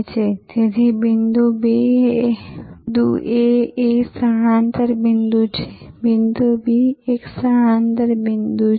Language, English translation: Gujarati, So, the point A is a shifting point, the point B is a shifting point